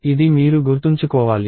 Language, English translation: Telugu, This is something that you have to remember